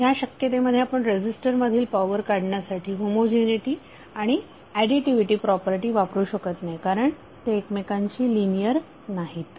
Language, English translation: Marathi, So in that case you cannot apply the homogeneity and additivity property for getting the power across the resistor because these are not linearly related